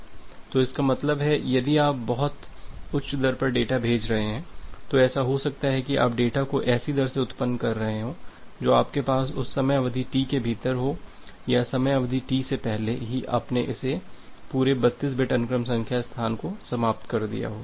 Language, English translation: Hindi, So that means, if you are sending data at a very high rate it may happen that you are generating the data in such a rate that you have within that time duration T or even before the time duration T you have finished this entire 32 bit of sequence number space